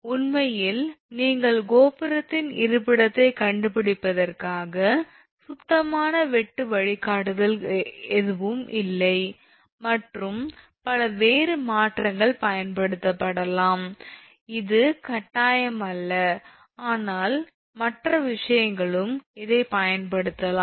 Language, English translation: Tamil, In fact, there are no clean cut guidelines for look you are locating the tower position and several other alternative may be use this is not a mandatory thing, but other things also it can be used